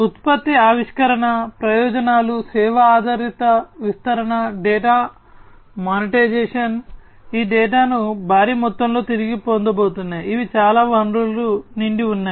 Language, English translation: Telugu, Product innovation; the benefits are service oriented deployment, data monetization, all these data that are going to be retrieved huge volumes of data these are very much resource full